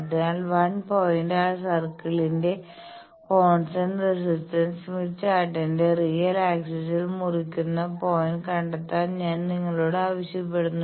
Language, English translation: Malayalam, So, the first step we are asking you that locate the point where, constant resistance of 1 point circle cuts real axis of Smith Chart